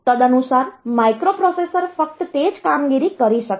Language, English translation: Gujarati, So, accordingly that microprocessor will be able to do those operations only